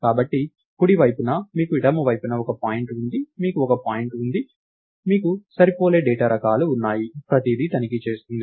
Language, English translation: Telugu, So, on the right side you have a point on the left side you have a point, you have matching data types, everything checks out